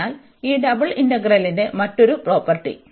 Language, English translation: Malayalam, So, another property of this double integral